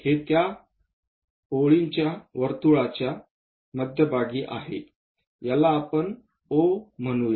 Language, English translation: Marathi, So, this is center of that circle call O